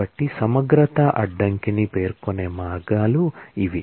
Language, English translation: Telugu, So, these are the ways to specify the integrity constraint